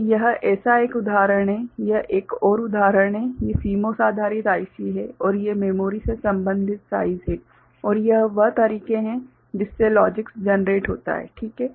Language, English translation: Hindi, So, this is one such examples this is another example these are CMOS based IC and these are the corresponding size of the memory right and this is the way the logics are generated in those cases fine